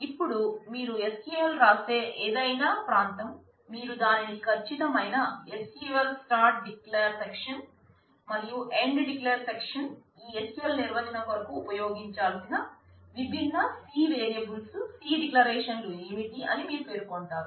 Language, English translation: Telugu, Now, any region where you write the SQL, you can write it as exact SQL begin declare section, and END declare section this is where you specify what are the different what are the different C variables C declarations that need to be used for this SQL definition